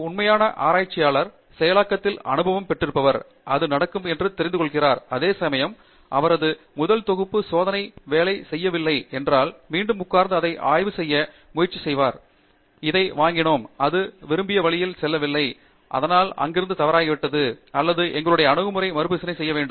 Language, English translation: Tamil, Whereas a true researcher, who has had experience in the process appreciates that, you know, this is likely to happen, is quite comfortable with the idea that, you know, his first set of experiment did not work out, and sits back, and then tries to analyze, ok we got this and it did not go the way we wanted, so where have we gone wrong or where is it that we need to reassess our approach